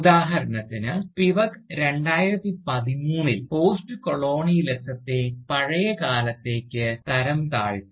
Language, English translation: Malayalam, And, Spivak, in 2013 for instance, has relegated Postcolonialism, to the past